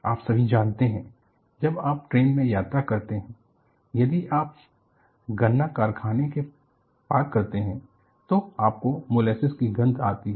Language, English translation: Hindi, And you all know, when you travel in a train, if you cross the sugar cane factory, you have the smell of molasses